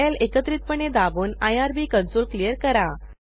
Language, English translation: Marathi, Press ctrl, L keys simultaneously to clear the irb console